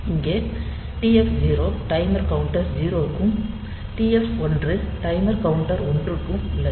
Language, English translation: Tamil, So, here TF 0 is for timer counter 0, TF 1 is for timer counter 1